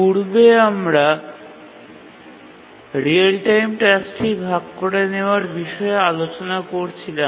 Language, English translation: Bengali, In the last lecture we are discussing about how real time tasks and share resources